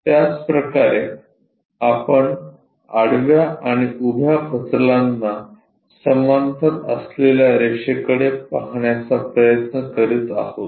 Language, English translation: Marathi, Similarly, we are try to look at a line which is parallel to both horizontal plane and vertical plane